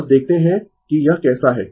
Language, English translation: Hindi, Just see that how it is